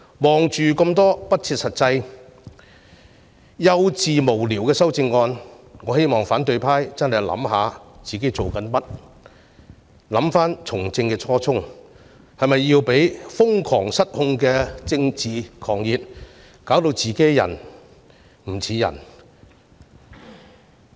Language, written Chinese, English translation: Cantonese, 看到這些不切實際、幼稚無聊的修正案，我希望反對派認真反省他們的所作所為，回想他們從政的初衷，是否要讓瘋狂失控的政治狂熱弄得自己"人唔似人"。, Given that these amendments are frivolous childish and meaningless I hope the opposition camp will seriously reflect on what it has done and recall their original intention in engaging in politics; do they want to make themselves laughing stocks blinded by the political fanaticism?